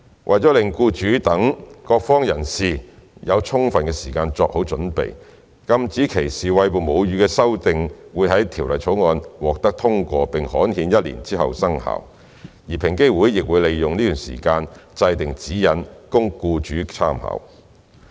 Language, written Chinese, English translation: Cantonese, 為了讓僱主等各方人士有充分時間作好準備，禁止歧視餵哺母乳的修訂會在《條例草案》獲通過並刊憲一年之後生效，而平機會亦會利用這段時間制訂指引供僱主參考。, In order to allow sufficient lead time for all relevant parties including employers the amendments which make breastfeeding discrimination unlawful will take effect 12 months after the passage and gazettal of the Bill . EOC will in the meanwhile draw up guidelines for employers reference